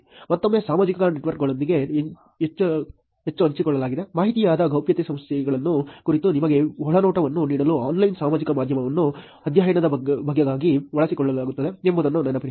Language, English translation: Kannada, Again, remember that the point here was making use of the online social media part of the study to give you an insight about privacy issues, which is information that is shared with social networks